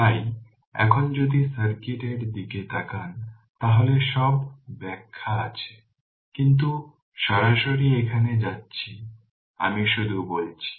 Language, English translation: Bengali, So now, if you look into the circuit all explanation are there, but directly you are going here I just told you